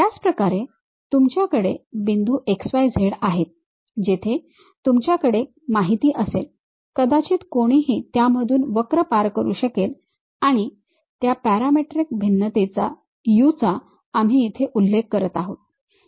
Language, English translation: Marathi, In the same way you have any point x, y, z where you have information maybe one can pass a curve through that and that parametric variation what we are saying referring to u